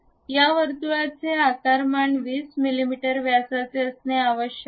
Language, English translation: Marathi, This circle dimension supposed to be correct 20 mm in diameter